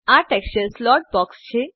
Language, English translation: Gujarati, This is the texture slot box